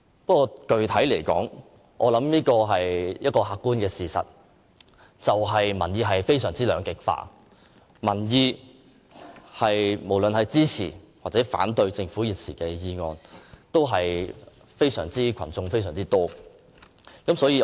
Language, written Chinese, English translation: Cantonese, 不過，具體而言，客觀的事實是，民意非常兩極化，無論是支持抑或反對政府現時的議案的市民均為數甚多。, However specifically it is an objective fact that there is a polarization of views and both the supporters and opponents of the Governments motion are huge in number